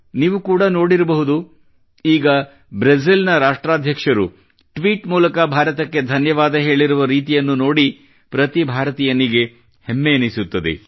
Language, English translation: Kannada, You must also have seen recently how the President of Brazil, in a tweet thanked India every Indian was gladdened at that